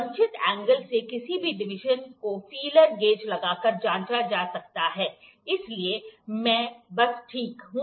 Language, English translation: Hindi, Any deviation from the desired angle can be checked by inserting the feeler gauge, so I will just, ok